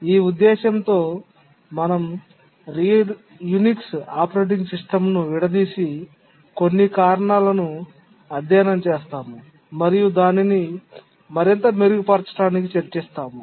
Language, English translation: Telugu, And with this intention, we are trying to dissect the Unix operating system and find why it does certain things and how it can be improved